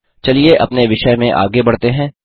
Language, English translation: Hindi, Let us move further in our topic